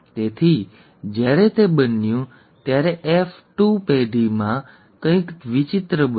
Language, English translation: Gujarati, So when that happened, in the F2 generation, something strange happened